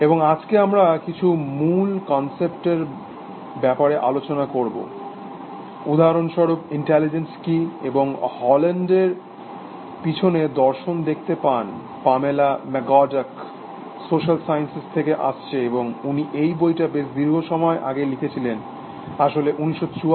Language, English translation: Bengali, And today we should discuss some of these basic concepts, what is intelligence for example, and Haugeland looks into the philosophy behind this, Pamela McCorduck is also from the social sciences, and she wrote this book quite, long time ago, actually 1974 or something like that